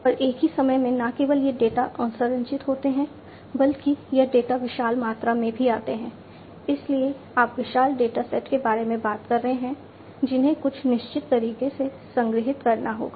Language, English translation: Hindi, And at the same time not only that these data are unstructured, but also this data come in huge volumes, so you are talking about huge datasets that will have to be stored in certain way